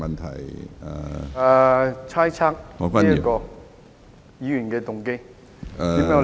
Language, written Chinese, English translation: Cantonese, 他猜測議員的動機。, He has speculated Members motives